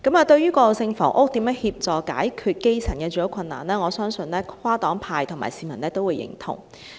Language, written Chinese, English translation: Cantonese, 對於以過渡性房屋協助解決基層的住屋困難，我相信跨黨派和市民都會認同。, I believe that all the political parties and groupings and the public agree to use transitional housing to solve the housing difficulties faced by the grass - roots people